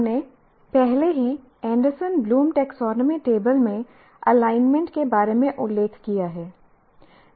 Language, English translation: Hindi, Now coming to this, we already mentioned about alignment in Anderson Bloom taxonomy table